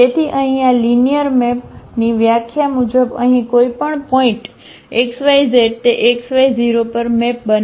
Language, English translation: Gujarati, So, here as per the definition of this linear map, any point here x y z it maps to x y and 0